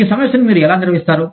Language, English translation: Telugu, How do you manage, this problem